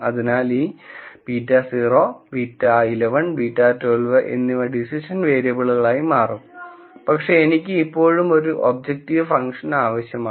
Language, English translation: Malayalam, So, these beta naught beta 1 1 and beta 1 2 will become the decision variables but I still need an objective function